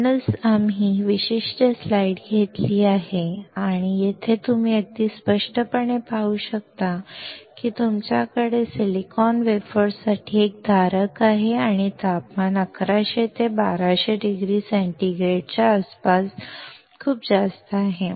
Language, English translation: Marathi, So, that is why we have taken this particular slide and here you can see very clearly that you have a holder for the silicon wafers and the temperature is extremely high around 1100 to 1200 degree centigrade